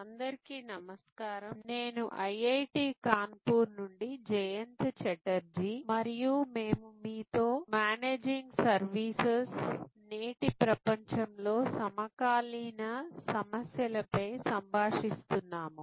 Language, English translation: Telugu, Hello, I am Jayanta Chatterjee of IIT Kanpur and we are interacting with you and Managing Services, contemporary issues in today's world